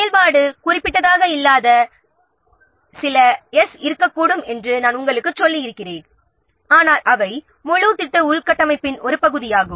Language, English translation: Tamil, So, I have already told you that there can be some resources that are not activity specific but they are part of the whole project infrastructure